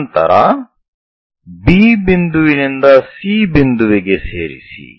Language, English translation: Kannada, Then join B point all the way to C point